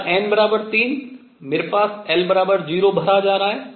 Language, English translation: Hindi, And then l equals 1, will be filled